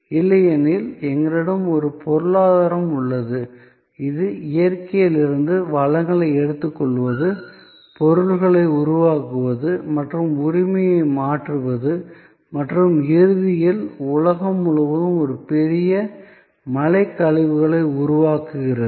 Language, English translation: Tamil, Because, otherwise we have an economy, which relies on taking stuff taking resources from nature, making things and transferring the ownership and ultimately all that is creating a huge mountain of waste around the world